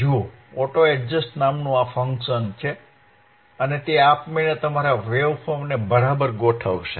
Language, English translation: Gujarati, See there is a function called auto adjust and it will automatically adjust your waveform right